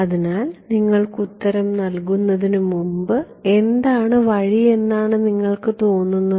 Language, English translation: Malayalam, So, before giving you the answer what do you think is the way